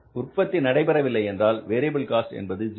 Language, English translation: Tamil, If you do not go for the production, your variable cost is zero